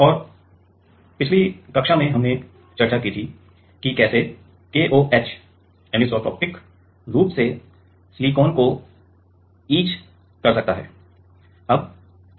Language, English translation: Hindi, And in the last class, we have discussed like how KOH can anisotropically etch silicon